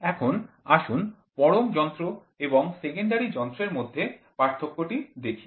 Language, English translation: Bengali, Now, let us see the difference between absolute instrument and secondary instrument